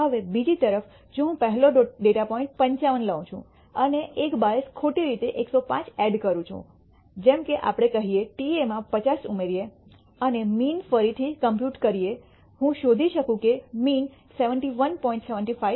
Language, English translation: Gujarati, Now on the other hand if I take the rst data point 55 and add a bias wrongly enter it as 105 let us say by adding 50 to ta and then recompute this mean, I will find that the mean becomes 71